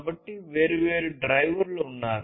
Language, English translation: Telugu, So, there are different drivers